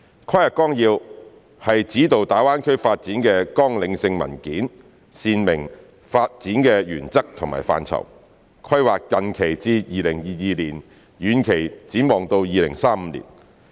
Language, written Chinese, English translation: Cantonese, 《規劃綱要》是指導大灣區發展的綱領性文件，闡明發展的原則和範疇，規劃近期至2022年，遠期展望到2035年。, The Outline Development Plan is an important outline document guiding the direction of GBAs development . It explains clearly the principles and scopes of GBAs development covering the period from now to 2022 in the immediate term and extending to 2035 in the long term